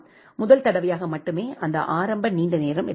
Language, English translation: Tamil, Only for the first time it has took that initial longer time